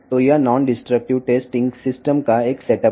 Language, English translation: Telugu, So, this is a setup of non destructive testing system